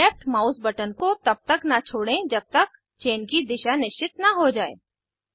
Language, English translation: Hindi, Do not release the left mouse button until the direction of the chain is fixed